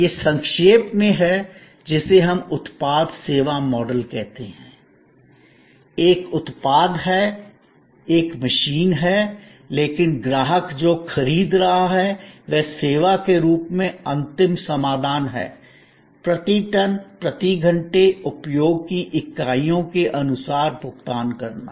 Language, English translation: Hindi, This in short is what we call product service model; there is a product, there is a machine, but what the customer is procuring is the final solution as service, paying on per ton, per hour, per units of usage